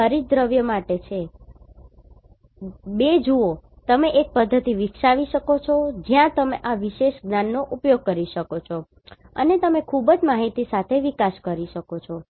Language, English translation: Gujarati, This is for chlorophyll 2 see you can develop a methodology where you can utilize this particular knowledge and you can evolve with the very informative output